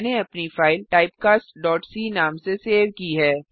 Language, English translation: Hindi, I have saved my file as typecast.c